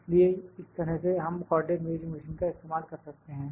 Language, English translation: Hindi, So, this is how we use the Co ordinate Measuring Machine